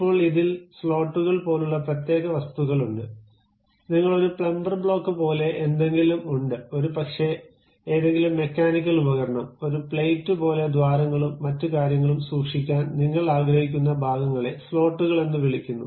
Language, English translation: Malayalam, Now, there are specialized objects like slots, something like you have a plumber blocks, maybe any mechanical device where you want to keep something like a plate with holes and other things that kind of things what we call slots